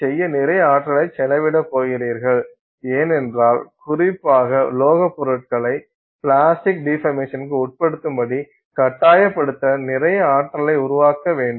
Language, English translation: Tamil, You are going to spend a lot of energy trying to get this done because you have to put a lot of energy to force materials, especially metallic materials to undergo plastic deformation